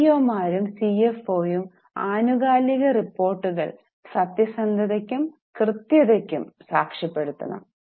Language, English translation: Malayalam, Then CEOs and CFOs must certify the periodic reports for truthfulness and accuracy